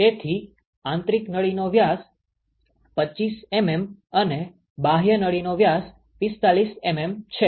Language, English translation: Gujarati, So, the diameter of the inner tube is 25 mm and the diameter of the outer tube is 45 mm